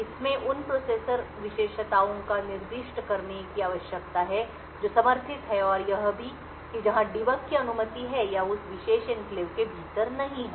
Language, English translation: Hindi, It needs to specify the processor features that is to be supported and also where debug is allowed or not within that particular enclave